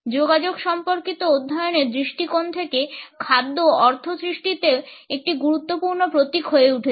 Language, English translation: Bengali, From the perspective of communication studies, food continues to be an important symbol in the creation of meaning